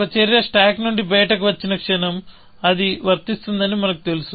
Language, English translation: Telugu, The moment an action comes out of the stack, we know that it is applicable